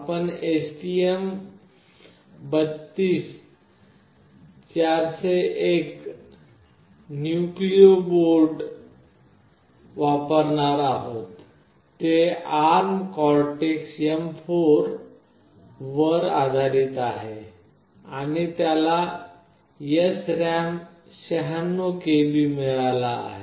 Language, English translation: Marathi, The one we will be using is STM32F401 Nucleo board, it is based on ARM Cortex M4, and it has got 96 KB of SRAM